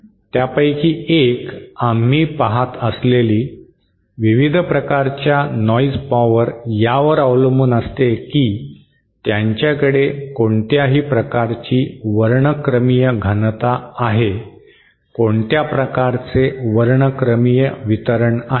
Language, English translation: Marathi, One of them, various kinds of noise power that we see depends on what kind of spectral density they have, what kind of spectral distribution they have